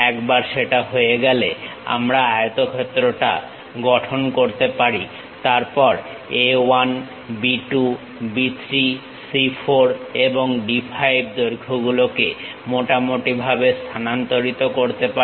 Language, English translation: Bengali, Once that is done we can construct this rectangle, then transfer lengths A 1, B 2, B 3, C 4 and D 5 lengths appropriately